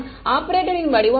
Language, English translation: Tamil, What is the form of the operator